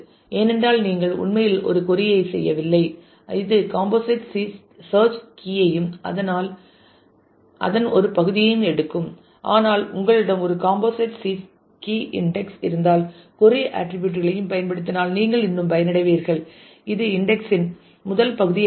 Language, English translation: Tamil, Because it is also possible that you are actually not doing a query which takes the whole of the composite search key, but a part of it, but if you have a composite search key index you will still benefit if the query is using the attributes from the first part of the index